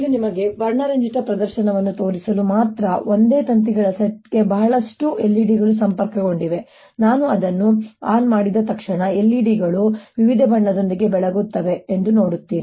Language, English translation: Kannada, this is just to show you a colorful ah you know demonstration: lot of l e d's connected to the same set of wires and as soon as i turned it on, you will see that the l e d's will light up with different colors